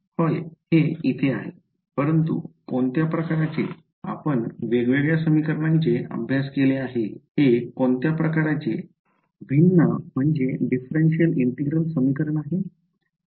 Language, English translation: Marathi, Yes here it is, but which kind we have studied different kinds of integral equations what kind of differential equation integral equation is this